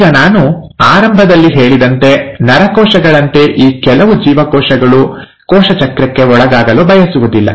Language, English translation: Kannada, Now, as I mentioned in the beginning, I said some of these cells do not choose to undergo cell cycle like the neurons